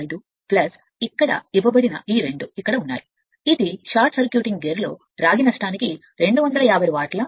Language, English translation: Telugu, 65 plus this two that are given your here it is you are here it is 250 watt for the copper loss in the short circuiting gear